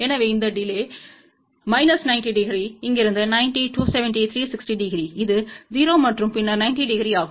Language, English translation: Tamil, So, phase delay is 270, then another 90 360 degree which is equivalent to 0 and then 90 degree